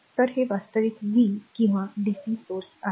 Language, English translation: Marathi, So, this is actually v or dc source right